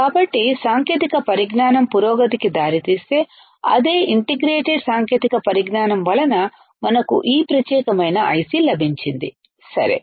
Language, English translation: Telugu, So, leading to adventment or advancement of the technology which is integrated technology, we could have this particular IC ok